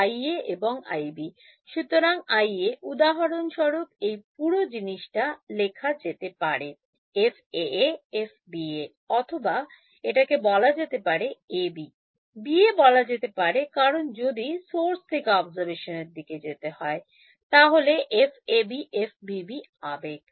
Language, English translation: Bengali, So, I A for example so, this whole thing can be written as say some F A A F B A or let us call it A B; B A make sense because source to observation then F A B F B B